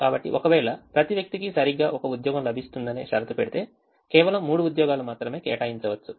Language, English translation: Telugu, so if we put a condition that each person gets exactly one job, only three jobs can be assigned because only three people are there